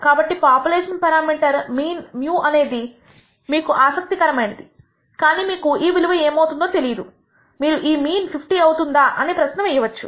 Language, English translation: Telugu, So, the population parameter mean mu is what is what you are interested in you do not know what this value will be, you are going to ask this question whether that mean is going to be 50